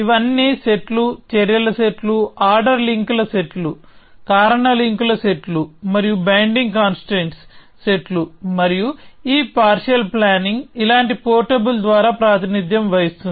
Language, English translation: Telugu, So, all these are sets, sets of actions, sets of ordering links, set of causal links and sets of binding constraints, and this partial plan is represented by a portable like this